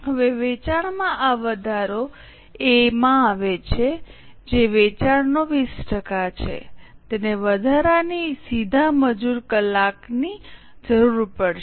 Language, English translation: Gujarati, Now, this increase in sales comes to A, which is 20% of sales, it will require extra direct labor hour